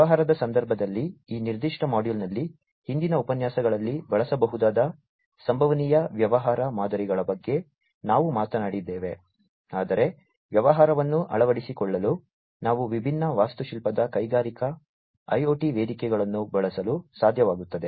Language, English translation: Kannada, So, so far in the context of the business, we have talked about the possible business models, that could be used in the previous lectures in this particular module, but we should be also able to use the different architectural platforms for transformation of the business for the adoption of Industrial IoT